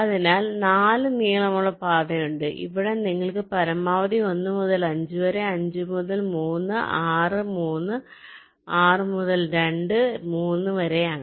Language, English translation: Malayalam, and here here you have, maximum is, i think, one to five, five to three, six, three, six to two, three